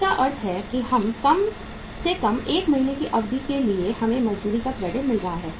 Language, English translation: Hindi, It means at least for a period of how much 1 month we are getting the credit of the wages